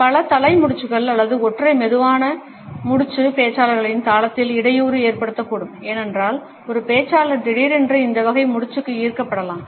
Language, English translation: Tamil, Multiple head nods or a single slow nod may cause a disruption in the speakers rhythm, because a speaker may suddenly be attracted to this type of a nod